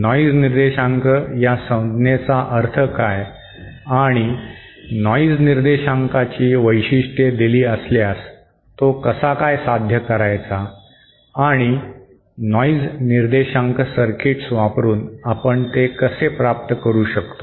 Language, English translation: Marathi, What does the term, noise figure mean and how to achieve if you have given noise figure specifications and how we can achieve that using noise figure circuits